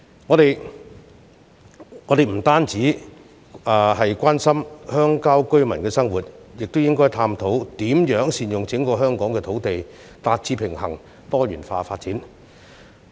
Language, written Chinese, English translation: Cantonese, 我們不單要關心鄉郊居民的生活，亦應探討如何善用整個香港的土地，以達致平衡及多元化的發展。, We should not only care about the lives of rural residents but also examine how we can make good use of the land in the entire Hong Kong so as to achieve balanced and diversified development